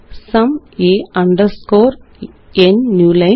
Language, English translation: Malayalam, sum a underscore n new line